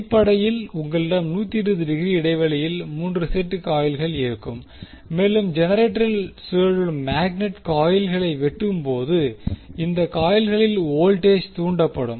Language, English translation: Tamil, So, basically you will have 3 sets of coils which are 120 degree apart and when the magnet which is rotating in the generator will cut the coils you will get the voltage induced in these coils